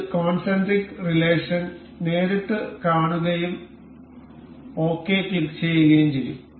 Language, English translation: Malayalam, And we will directly see concentric relation and click ok